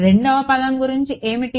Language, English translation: Telugu, What about the second term